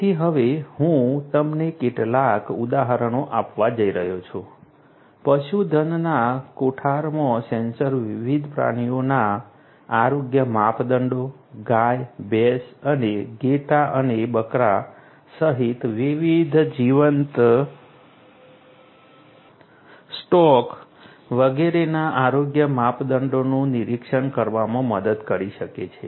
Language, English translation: Gujarati, So, I am now going to give you some examples in the live stock barns sensors can help in monitoring the health parameters of different animals, different live stocks such as cows, buffaloes and different other live stocks including sheep and goats and so on